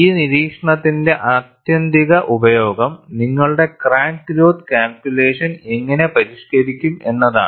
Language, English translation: Malayalam, The ultimate usage of this observation is, how do you modify your crack growth calculation